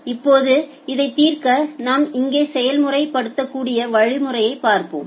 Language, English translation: Tamil, Now to solve this let us look into the mechanism that we can apply here